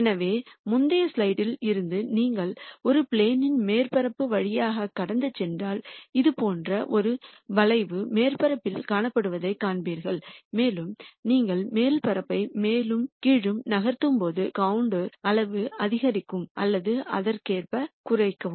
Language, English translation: Tamil, So, from the previous slide you would notice that if you were to pass a plane through the surface you would see a curve like this would be traced on the surface, and as you move the surface up and down the size of the contour will increase or decrease corre spondingly